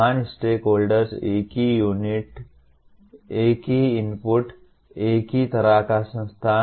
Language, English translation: Hindi, Same stakeholders, same inputs, same kind of institute